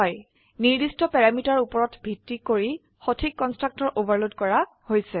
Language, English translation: Assamese, Based upon the parameters specified the proper constructor is overloaded